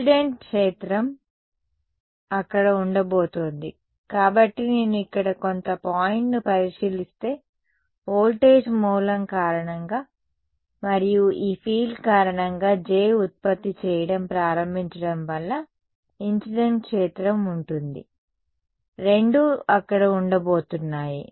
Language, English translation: Telugu, The incident field is going to be there; so, if I consider some point over here there will be a the incident field due to the voltage source and due to the field like this J is beginning to produce; both are going to be there